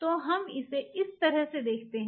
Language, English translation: Hindi, So, let us put it like this